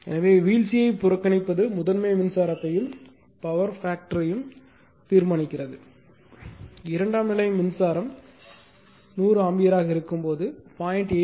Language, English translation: Tamil, So, neglecting the drop determine the primary current and power factor when the secondary current is hundred ampere at a power factor of 0